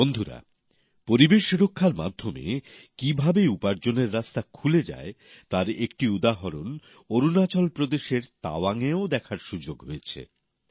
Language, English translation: Bengali, an example of how protection of environment can open avenues of income was seen in Tawang in Arunachal Pradesh too